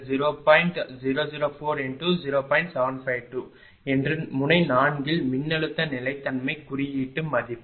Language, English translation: Tamil, 81825 that is the voltage stability index at node 4